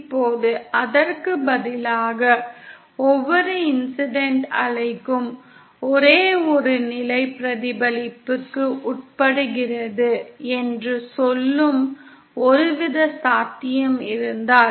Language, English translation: Tamil, Now instead of that if we put, if there was some kind of possibility by which say every incident wave undergoes only one level of reflection